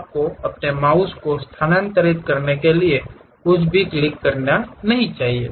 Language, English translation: Hindi, You should not click anything just move your mouse